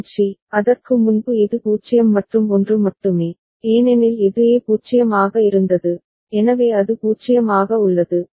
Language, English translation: Tamil, And C, before that it is only 0 and 1, because this A was 0, so it is remaining at 0